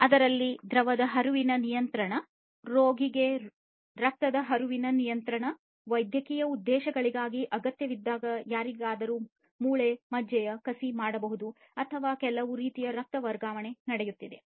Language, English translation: Kannada, So, control of the fluid flow, control of blood flow into a patient, when required for medical purposes may be somebody having a bone marrow transplant or some kind of you know blood transfusion is taking place